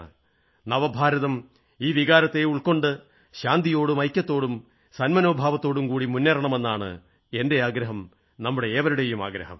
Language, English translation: Malayalam, It is my hope and wish that New India imbibes this feeling and forges ahead in a spirit of peace, unity and goodwill